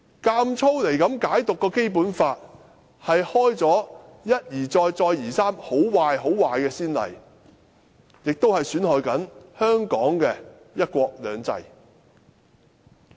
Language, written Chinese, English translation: Cantonese, 硬要這樣解讀《基本法》，是一而再、再而三地開創很壞、很壞的先例，也是在損害香港的"一國兩制"。, His insisted interpretation of the Basic Law has repeatedly set a very bad precedence and is undermining the one country two systems principle of Hong Kong